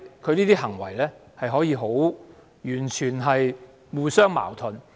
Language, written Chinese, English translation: Cantonese, 他的行為可以完全互相矛盾。, His actions can be completely contradictory